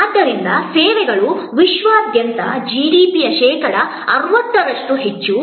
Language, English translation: Kannada, So, services account for more than 60 percent of the GDP worldwide